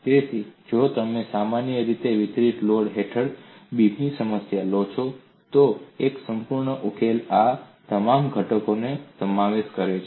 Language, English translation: Gujarati, So, if you take the problem of beam under uniformly distributed load, complete solution encompasses all these components